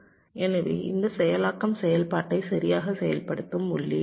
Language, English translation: Tamil, so this enable is also an input which activates the operation